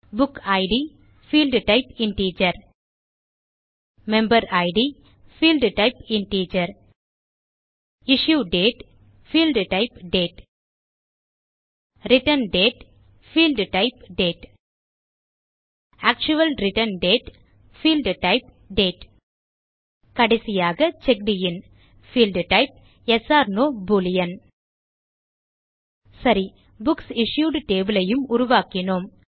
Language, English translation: Tamil, which will be the primary key Book Id,Field type,Integer Member Id ,Field type,Integer Issue Date,Field type,Date Return Date,Field type,Date Actual Return Date,Field type,Date And Checked In,Field type Yes/No Boolean Okay, we have created the Books Issued table, And now let us add the following sample data into it as you can see on the screen